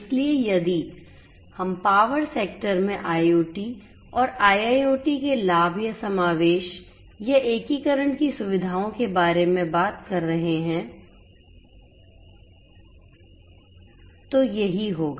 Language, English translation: Hindi, So, if we are talking about the benefits or the features of incorporation or integration of IoT and IIoT in the power sector this is what would happen